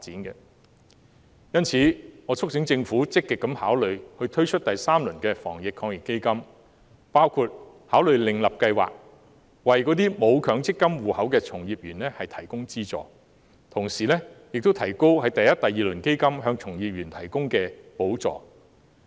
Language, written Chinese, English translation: Cantonese, 因此，我促請政府積極考慮推出第三輪防疫抗疫基金，包括考慮另設計劃，為沒有強積金戶口的從業員提供資助，同時亦應提高第一及第二輪基金給予從業員的補助。, Hence I urge the Government to actively consider the launch of the third round of AEF including the establishment of a separate scheme to provide financial assistance to practitioners who do not have any Mandatory Provident Fund account . Moreover it should raise the amount of subsidies granted to practitioners in the first and second rounds of the Fund